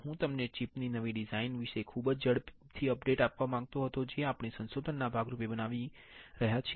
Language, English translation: Gujarati, I just was wanted to give you a very quick updates about the newer design of the chip that we are fabricating as a part of the research